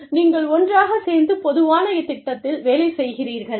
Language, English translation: Tamil, You work on a common project